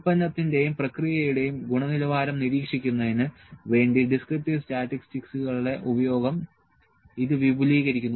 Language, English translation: Malayalam, It extends the use of descriptive statistics to monitor the quality of the product and process